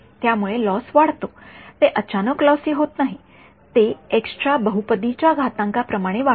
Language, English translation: Marathi, So, the loss increases as, it does not become suddenly lossy it increases as some polynomial power of x